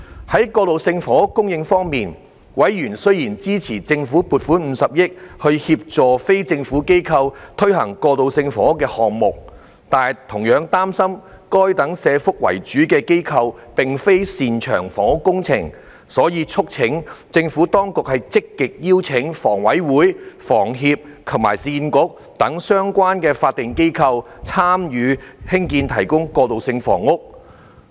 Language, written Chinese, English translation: Cantonese, 在過渡性房屋供應方面，委員雖然支持政府撥款50億元，協助非政府機構推行過渡性房屋項目，但同樣擔心該等社福為主的機構並非擅長房屋工程，所以促請政府當局積極邀請香港房屋委員會、香港房屋協會及市區重建局等相關法定機構，參與興建、提供過渡性房屋。, Regarding transitional housing members supported the Governments proposal to allocate 5 billion to assist non - governmental organizations in taking forward transitional housing projects . However members were concerned that these organizations which were mainly of a social welfare nature were not specialized in housing projects . They thus urged the Administration to actively engage statutory organizations such as the Hong Kong Housing Authority HA Hong Kong Housing Society HS and Urban Renewal Authority in constructing and providing transitional housing